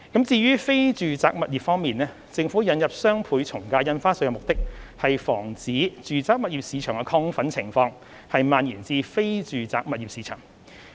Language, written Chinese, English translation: Cantonese, 至於非住宅物業方面，政府引入雙倍從價印花稅的目的，是防止住宅物業市場的亢奮情況蔓延至非住宅物業市場。, For non - residential properties the Governments objective of introducing the doubled ad valorem stamp duty is to forestall the spread of the overheating in the residential property market to the non - residential property market